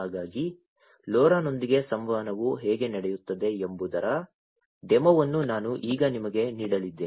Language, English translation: Kannada, So, I am going to now give you a demo of how communication happens with LoRa